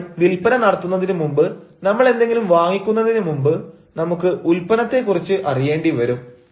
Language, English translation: Malayalam, i mean, before we make any sale, before we make any purchase, we want to know about the product